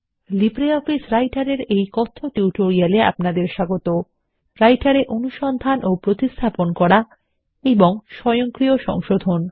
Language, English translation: Bengali, Welcome to the Spoken tutorial on LibreOffice Writer – Using Find and Replace feature and the AutoCorrect feature in Writer